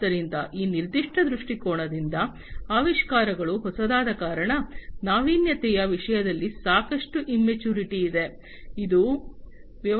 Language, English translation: Kannada, So, from that particular perspective, because the innovations are new, there is lot of immaturity in terms of innovation, that has to be dealt with in the businesses, in the business